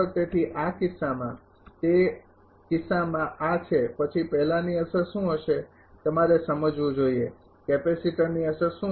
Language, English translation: Gujarati, So, in that case in that case this is then what will be the effect of first you have to understand, What is the effect of capacitor